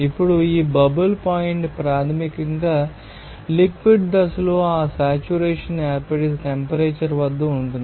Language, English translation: Telugu, Now, this bubble point is basically it is a temperature at which that saturation occurs in the liquid phase